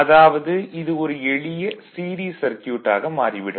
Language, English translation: Tamil, So, that means, it will be a simple circuit right; simple series circuit